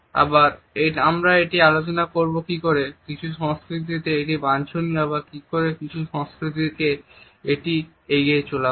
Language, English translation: Bengali, Again we shall discuss how in certain cultures it is preferable and how in certain cultures it is to be avoided